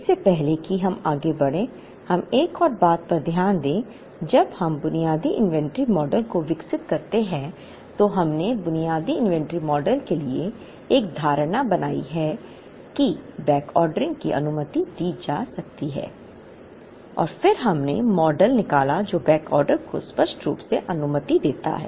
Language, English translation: Hindi, Before we proceed further, let us look at another thing where, when we develop the basic inventory model, we also made an assumption to the basic inventory model that backordering could be allowed and then we derived model which allowed backorder explicitly